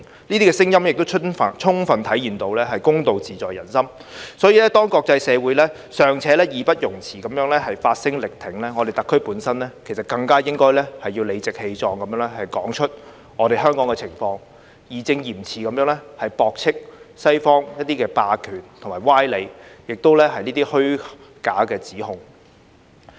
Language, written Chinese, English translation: Cantonese, 這些聲音亦充分體現到公道自在人心，所以當國際社會尚且義不容辭地發聲力挺，我們特區本身其實更應該要理直氣壯地說出香港的情況，義正嚴詞地駁斥西方霸權的歪理及虛假的指控。, These voices fully reflect the fact that justice lies in the hearts of the people . Therefore while the international community is obliged to speak out in support our SAR should in fact even speak up and speak out about the situation in Hong Kong righteously refuting the sophistry and false accusations of the Western hegemony